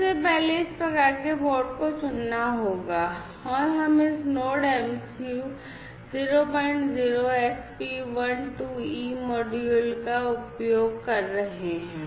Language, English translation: Hindi, First of all the type of this board will have to be selected and we are using this Node MCU 0